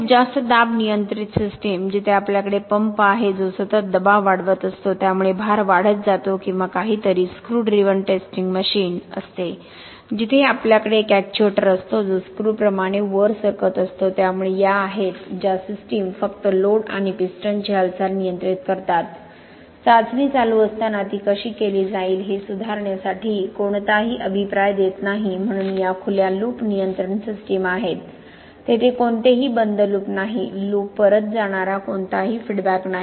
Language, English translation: Marathi, So lot of pressure controlled systems, where we have a pump which is keeping on increasing the pressure so the load keeps on increasing or something that is screw driven testing machine, where we have a actuator that is moving up with, like a screw okay, so these are systems which only control load and piston movement, do not give any feedback to modify how the test is going to be done as it is going on, so these are open loop control systems, there is no closed loop, there is no closing of the loop, there is no feedback going back